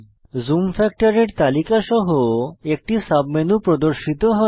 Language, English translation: Bengali, A submenu opens with a list of zoom factors